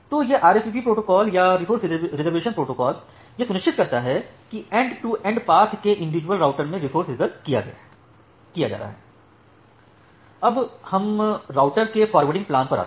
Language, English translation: Hindi, So, this RSVP protocol or the resource reservation protocol, it ensures that the resource are getting reserved in individual routers in the end to end path